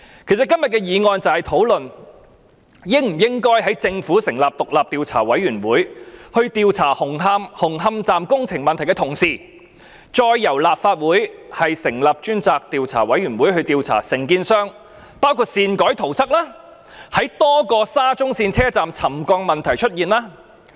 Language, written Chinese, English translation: Cantonese, 其實，今天的議案便是討論應否在政府成立獨立調查委員會調查紅磡站工程問題的同時，再由立法會成立專責委員會調查承建商，範圍包括擅改圖則，以及在多個沙中線車站出現沉降的問題。, In fact the purpose of this motion today is to discuss whether the Legislative Council should in tandem with the investigation into the problems of the construction works of Hung Hom Station by the independent Commission of Inquiry established by the Government set up a select committee to investigate the contractor with the scope of investigation covering the alteration of the drawings without permission as well as the occurrence of settlement at a number of SCL stations